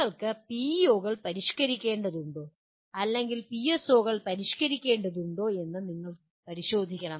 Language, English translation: Malayalam, You have to take a look at it whether you need to modify PEOs or whether you need to modify PSOs